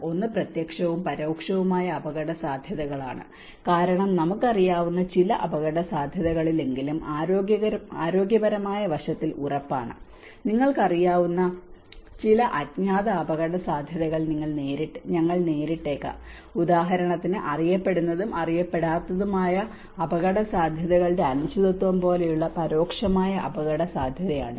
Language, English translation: Malayalam, One is the direct and indirect risks because what we know is certain risk but certain in the health aspect, we may encounter some unknown risks you know, it might be an indirect risk like for instance there is uncertainty of known and unknown risks